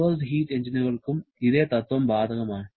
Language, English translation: Malayalam, The same principle is also applicable to reversed heat engines